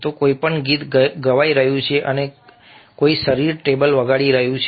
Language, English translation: Gujarati, so somebody is singing a song and some body is playing the tabla